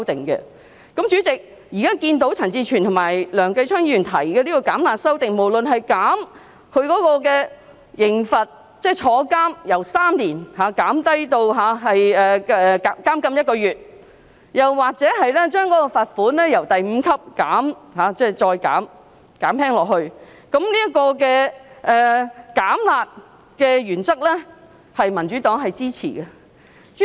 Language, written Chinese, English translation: Cantonese, 代理主席，現在看到陳志全議員及梁繼昌議員提出具"減辣"效果的修正案，無論是減低刑罰，即由監禁3年減至1個月，或將第5級罰款減輕，對於"減辣"的原則，民主黨是支持的。, Deputy Chairman Mr CHAN Chi - chuen and Mr Kenneth LEUNG have now proposed amendments with the effect of reducing the penalty . Be it reducing the prison sentence from three years to one month or lowering the level 5 fine the Democratic Party supports the principle of reducing the penalty